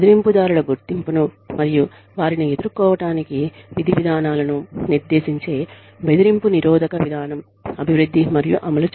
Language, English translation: Telugu, Development and implementation of anti bullying policy, that addresses identification of bullies, and lays down procedures, for dealing with them